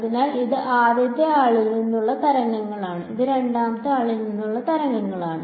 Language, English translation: Malayalam, So, this is waves from the first guy and these are waves from the second guy right